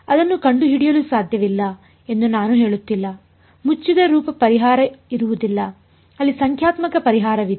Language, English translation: Kannada, I am not saying its not possible to find it there will not be a closed form solution there will be a numerical solution ok